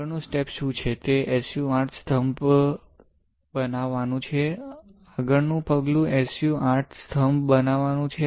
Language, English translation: Gujarati, What is the next step is to form SU 8 pillars; the next step is to form SU 8 pillars